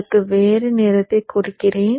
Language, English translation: Tamil, So let me give it a different color